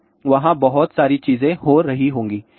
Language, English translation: Hindi, So, there will be lots of things happening